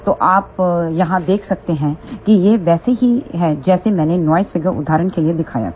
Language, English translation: Hindi, So, you can see here this is similar to what I had shown for the noise figure example